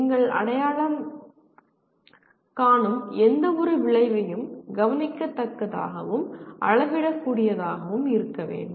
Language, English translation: Tamil, And any outcome that you identify should be observable and measureable